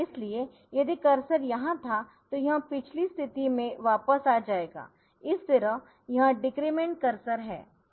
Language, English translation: Hindi, So, if cursor were here it will come back to the previous position so that is the decrement cursor